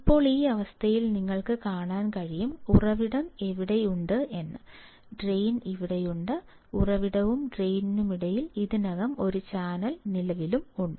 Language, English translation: Malayalam, Now, in this condition you can see, source is here, drain is here and there already channel exists in between source and drain; there is already channel existing between source and drain